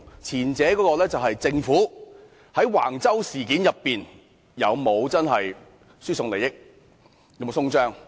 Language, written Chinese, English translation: Cantonese, 前者是政府在橫洲事件上有沒有輸送利益？, The former is whether the Government has transferred any benefit in the Wang Chau incident